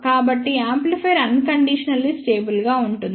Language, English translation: Telugu, So, that means amplifier is unconditionally stable